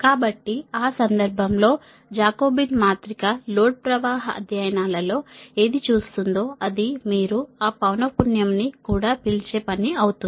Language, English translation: Telugu, so in that case that jacobian matrix, whatever will see in the load flow studies, it will become the function of your what you call that frequency